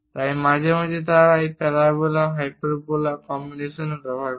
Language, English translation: Bengali, So, occasionally they use this parabola hyperbola combinations also